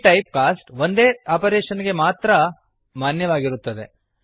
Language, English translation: Kannada, This typecast is valid for one single operation only